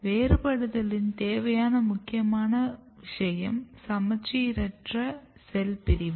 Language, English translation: Tamil, One and very important step of differentiation is asymmetric cell division